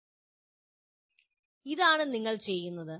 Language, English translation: Malayalam, This is what you are doing